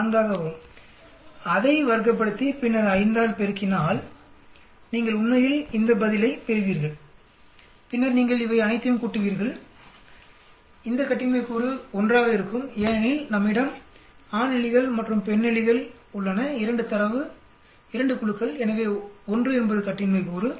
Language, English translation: Tamil, 4, square it up and then multiply by 5, you will get this answer actually, then you add all these, this degrees of freedom will be 1 because we have male rats and female rats 2 data, 2 groups so 1 is the degree of freedom